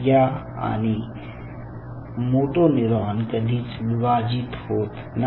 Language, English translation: Marathi, in this case it is a motor neuron which did not divide